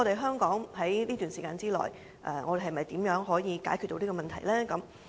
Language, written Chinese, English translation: Cantonese, 香港在這段時間內，如何可以解決這個問題呢？, But actually how are we supposed to resolve the problem within this period?